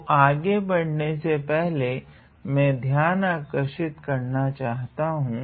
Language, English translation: Hindi, So, before I move ahead I want to highlight